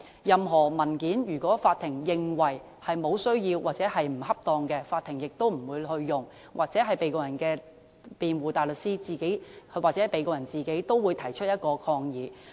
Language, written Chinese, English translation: Cantonese, 任何文件，如果法庭認為沒有需要或不恰當，法庭亦不會使用，而被告人的辯護大律師或被告人自己也會提出抗議。, If the Court considers a document unnecessary or inappropriate the document will not be used in evidence and the lawyer representing the Defendant or the Defendant himself will lodge an objection as well